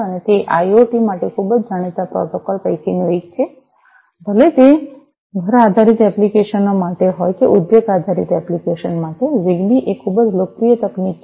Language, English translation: Gujarati, And it is one of the very well known protocols for IoT, for whether it is for home based applications or for industry based applications, ZigBee is a very popular technology